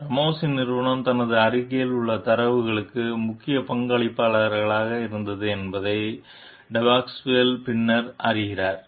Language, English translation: Tamil, Depasquale later learns that Ramos s company was the major contributor to the data in her paper